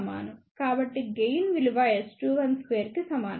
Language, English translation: Telugu, So, gain is equal to S 2 1 square